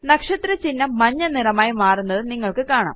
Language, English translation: Malayalam, You see that the star turns yellow